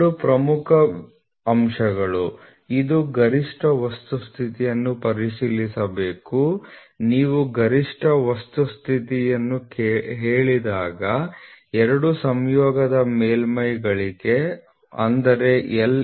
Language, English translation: Kannada, So, two important points it should check for maximum material condition when you say maximum material condition for two mating surfaces